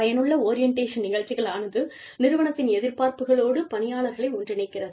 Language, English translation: Tamil, Effective orientation programs orients, employees towards, the expectations of the organization